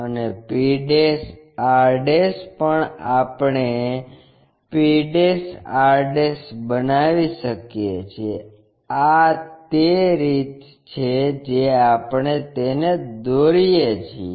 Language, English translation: Gujarati, And p' r' also we can construct p' r'; this is the way we construct it